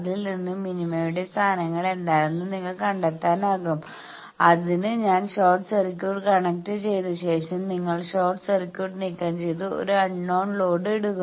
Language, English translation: Malayalam, So, from that you can find out what are the positions of the minima when, I have connected short circuit then you remove short circuit and put an unknown load